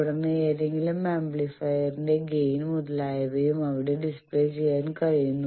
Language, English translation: Malayalam, Then gain of any amplifier etcetera that can also be displayed there